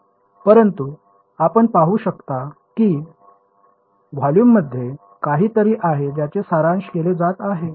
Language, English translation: Marathi, But you can see that there is something in the volume which is being summed over right